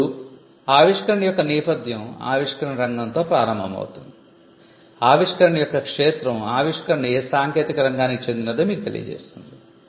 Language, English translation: Telugu, Now, the background of the invention may start with the field of the invention, the field of the invention will tell you to what field of technology does the invention belong to